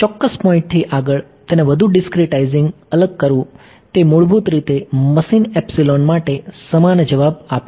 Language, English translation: Gujarati, Beyond ta certain point discretizing it even finer is giving basically the same answer to machine epsilon